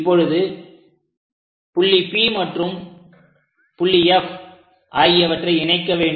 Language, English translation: Tamil, Now join T and P points